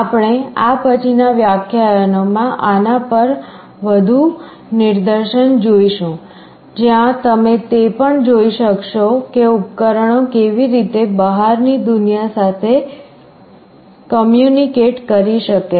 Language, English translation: Gujarati, We shall be seeing more demonstrations on these in the later lectures, where you will also be looking at how the devices can communicate with the outside world